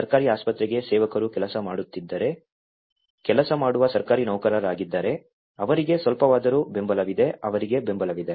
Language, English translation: Kannada, For Government Hospital, if it is servants were working, government servants who are working, for them at least they have some benefit that they will be supported